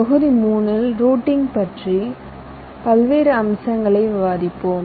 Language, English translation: Tamil, module three would discuss the various aspects of routing